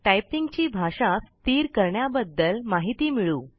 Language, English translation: Marathi, Get to know information about setting language for typing